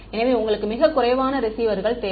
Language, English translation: Tamil, So, you need very few receivers